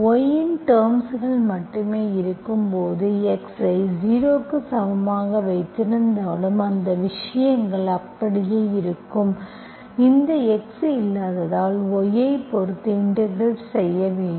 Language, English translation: Tamil, When you have only terms of y, even if you put x equal to 0, those stuffs will remain, you simply integrate with respect to y as this x is not there